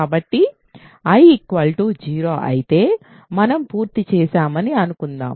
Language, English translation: Telugu, So, suppose if I is 0 we are done